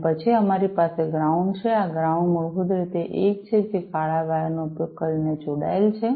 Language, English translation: Gujarati, And then, we have the ground this ground is basically the one, which is connected using the black wire